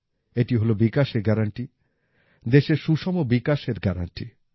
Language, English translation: Bengali, This is a guarantee of development; this is the guarantee of balanced development of the country